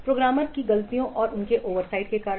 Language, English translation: Hindi, Due to the programmers' mistakes and their oversides